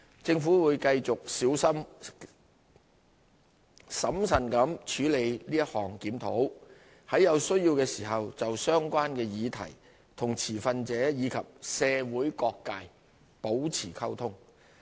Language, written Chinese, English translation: Cantonese, 政府會繼續小心審慎地處理此項檢討，在有需要時就相關的議題與持份者及社會各界保持溝通。, The Government will continue to handle this review carefully and judiciously engaging stakeholders as well as the wider community in dialogue over the relevant issues as and when necessary